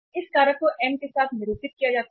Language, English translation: Hindi, This factor is denoted with the M